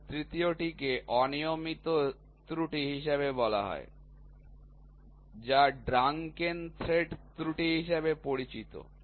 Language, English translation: Bengali, And the third one is called as irregular errors which is called as drunken thread error